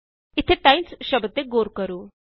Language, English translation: Punjabi, Notice the word times here